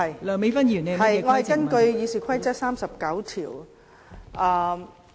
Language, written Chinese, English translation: Cantonese, 代理主席，我根據《議事規則》第39條提出規程問題。, Deputy President I would like to raise a point of order under Rule 39 of the Rules of Procedure